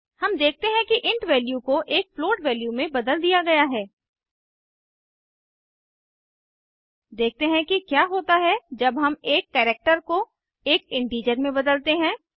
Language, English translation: Hindi, we see that the int value has been converted to a float value Let us see what happens when we convert a character to an integer